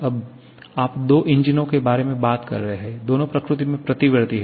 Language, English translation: Hindi, Now, you are talking about two engines, both are reversible in nature